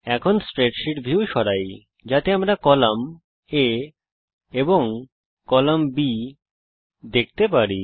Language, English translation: Bengali, Let us move the spreadsheet view so we can see columns A and B